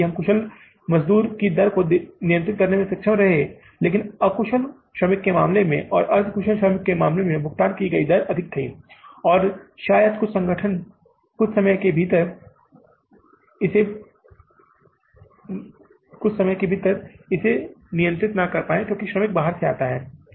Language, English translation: Hindi, We have been able to control the rate of the skilled labor but in case of the unskilled labor and in case of the semi skilled labor, the rate paid was higher and maybe some time it is beyond the control of anybody within the organization because labor comes from the outside